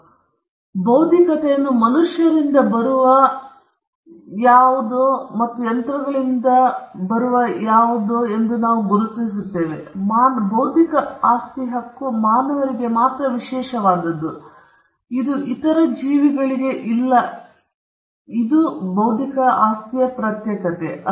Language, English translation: Kannada, So, we distinguish intellectual as something that comes from human beings and not something that comes from machines; we also distinguish intellectual as something that is special to human beings and not to other beings